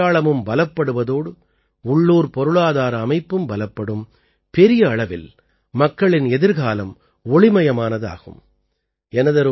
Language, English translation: Tamil, This will also strengthen our identity, strengthen the local economy, and, in large numbers, brighten the future of the people